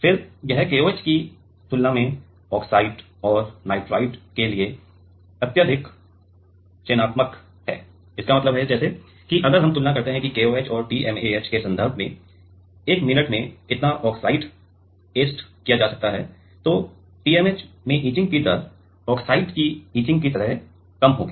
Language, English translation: Hindi, Then this is highly selective to oxide and nitride compared to KOH; that means, like if we compare that how much of oxide is etched in 1 minute in terms of KOH and TMAH then in TMAH the etching rate like the etch the oxide etching will be lesser